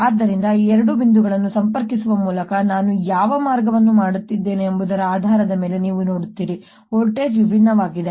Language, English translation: Kannada, when i take voltage difference between these two points, depending on how i connect them, you will see that the voltage comes out to be different